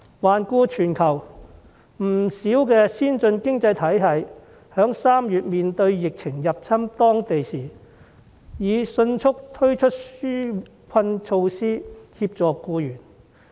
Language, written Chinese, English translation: Cantonese, 環顧全球，不少先進經濟體系在3月面對疫情入侵當地時，已迅速推出紓困措施，協助僱員。, Looking around the world many advanced economies have quickly introduced relief measures to help employees when the epidemic broke out in March